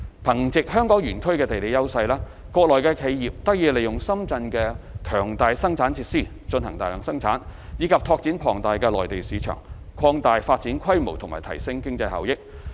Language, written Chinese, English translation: Cantonese, 憑藉香港園區的地利優勢，園內企業得以利用深圳的強大生產設施進行大量生產，以及拓展龐大的內地市場，擴大發展規模及提升經濟效益。, With the geographical advantage of the Park enterprises therein can leverage on Shenzhens strong production facilities for mass production and tap into the huge Mainland market thereby expanding their development scale and enhancing their economic benefits